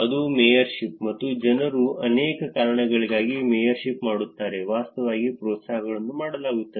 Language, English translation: Kannada, that is the mayorship and people do mayorship for many reasons, there is actually incentives that are done